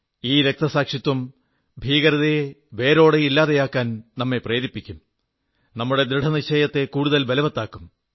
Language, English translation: Malayalam, This martyrdom will keep inspiring us relentlessly to uproot the very base of terrorism; it will fortify our resolve